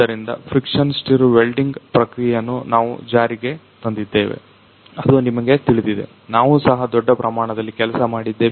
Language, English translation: Kannada, So, we have implemented that one to friction stir welding process which you have you know the we are also working on that in a large extent